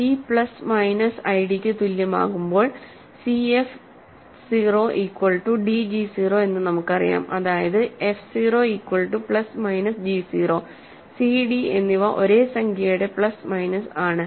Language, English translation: Malayalam, Once c is equal to plus minus i d and we know that c f 0 is equal to d g 0 that means, f 0 is equal to plus minus g 0, c and d are actually same plus minus of same number